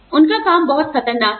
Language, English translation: Hindi, Their work is very dangerous